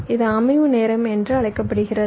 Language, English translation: Tamil, this is the so called setup time